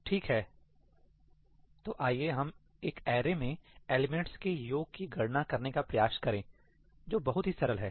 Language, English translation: Hindi, Okay, so, let us try to compute the sum of the elements in an array – right, something very simple